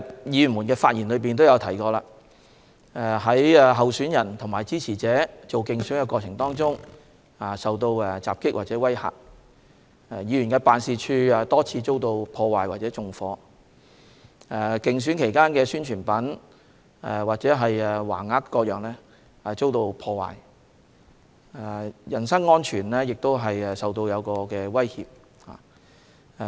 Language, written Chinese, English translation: Cantonese, 議員的發言也提到，有候選人及其支持者在進行競選活動時受到襲擊或威嚇、有議員辦事處多次遭到破壞或縱火、競選期間的宣傳品或橫額等遭到破壞，人身安全也受到威脅等。, As mentioned by Members in their speeches some candidates and their supporters have been attacked or intimidated during the election campaign the offices of some Members have been repeatedly vandalized or set fire on the publicity materials or banners for the election have been destroyed and their personal safety was also threatened